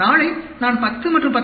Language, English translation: Tamil, If tomorrow I am getting a 10 and 10